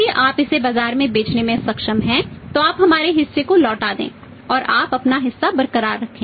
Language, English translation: Hindi, If you are able to sell it off in the market then you say return our part to us and then you retain your part